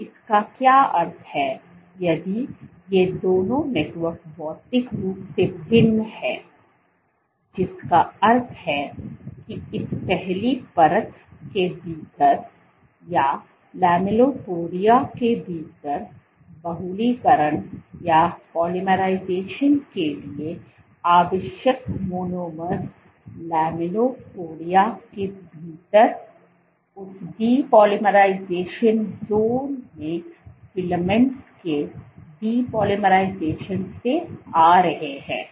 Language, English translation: Hindi, So, what this means if these two networks are materially distinct which means that within this first layer or the lamellipodia the monomers required for polymerization are coming from the depolymerization of the filaments in that depolymerization zone within the lamellipodia